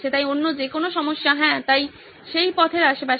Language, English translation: Bengali, So any other problems, yeah, so that is around that path